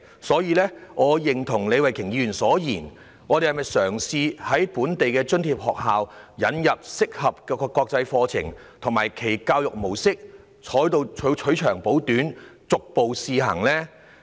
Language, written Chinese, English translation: Cantonese, 所以，我認同李慧琼議員所言，應嘗試在本地津貼學校引入適合的國際課程及其教育模式，取長補短，逐步試行。, I therefore agree with Ms Starry LEE that we should draw on and pilot an appropriate international curriculum mode of education in local subsidized schools